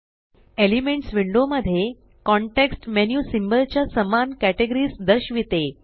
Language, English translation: Marathi, The context menu displays the same categories of symbols as in the Elements window